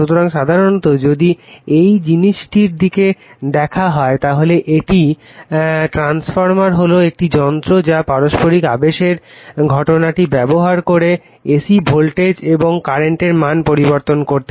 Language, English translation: Bengali, So, generally if you look at the this thing a transformer is a device which uses the phenomenon of mutual induction to change the values of alternating voltages and current right